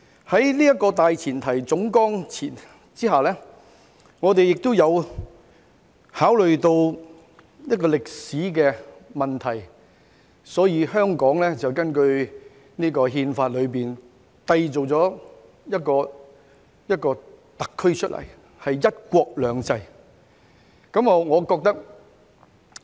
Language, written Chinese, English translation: Cantonese, "在這個大前提總綱下，亦考慮到一個歷史問題，所以根據這項《憲法》締造了一個香港特區出來，是"一國兩制"。, Under this general premise and considering a historical issue HKSAR governed under one country two systems was created in accordance with the Constitution